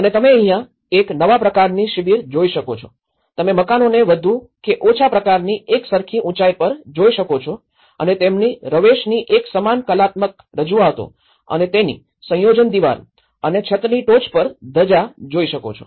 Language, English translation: Gujarati, And this is how what you can see is the kind of the new camps, how you can see a more or less a kind of uniform heights with the dwellings and a similar artistic representations of their facades and the compound walls and the flags over the top of the terraces